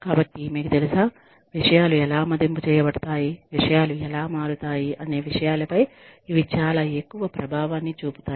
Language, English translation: Telugu, So, you know, these things, have a very high impact on, how things are evaluated, how things change